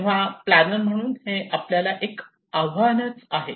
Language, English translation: Marathi, So this is our challenge as a planner right